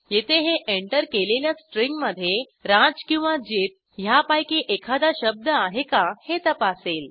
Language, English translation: Marathi, Here it checks whether the entered string contains both the words raj and jit